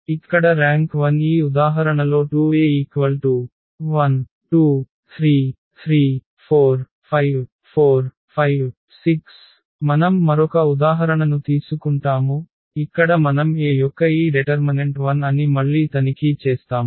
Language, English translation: Telugu, So, here the rank is 1 and in this example 2, we take another example where we check that again this determinant of A is 0